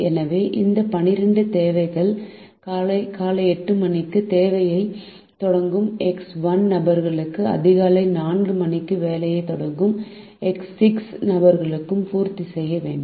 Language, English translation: Tamil, so this twelve requirement this to be with x one people who start work at eight am and x six people who start work at four am